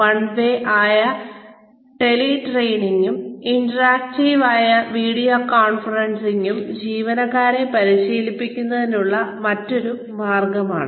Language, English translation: Malayalam, Teletraining, which is one way and, video conferencing, which is interactive, is another way of training employees